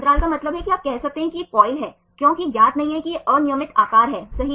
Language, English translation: Hindi, Gaps means you can say it is coil because there is not known this is irregular shape right